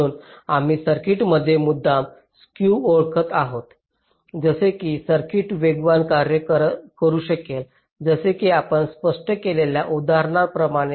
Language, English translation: Marathi, so we are deliberately introducing skew in a circuit such that the circuit can work faster, like in this example